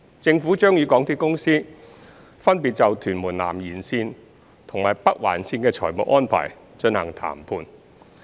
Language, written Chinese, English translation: Cantonese, 政府將與港鐵公司分別就屯門南延綫及北環綫的財務安排進行談判。, The Government will carry out negotiation with MTRCL on the financing arrangement of the TMS Extension and the NOL respectively